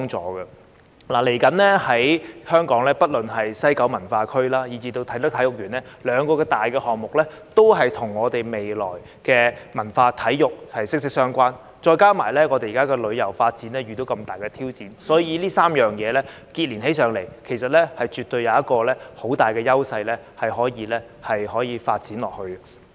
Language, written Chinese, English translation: Cantonese, 接下來，不論是西九文化區或啟德體育園兩大項目，也與香港未來的文化體育息息相關，再加上現時旅遊發展遇到重大的挑戰，所以這3件事情連結起來，絕對有很大的優勢可以繼續發展。, Our two major projects namely the West Kowloon Cultural District and the Kai Tak Sports Park are closely related to the future development of culture and sports in Hong Kong . Considering the daunting challenges facing tourism at present I would say that if these three things can complement each other they can certainly create great synergy to sustain the future development